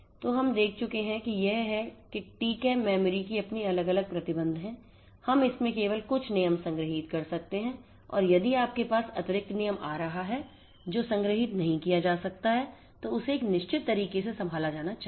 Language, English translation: Hindi, So, you we what we have seen is that TCAM memory has its own different constraints, we could only store few rules in it and if you have a additional rule coming in which cannot be stored, then it has to be handled in a certain way wild card mechanism is one, but then it has its own disadvantages